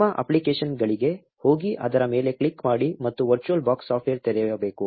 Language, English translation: Kannada, Go to your applications, click on it and the virtual box software should open